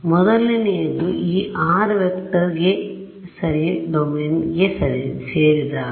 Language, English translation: Kannada, First is when this r vector belongs to the domain ok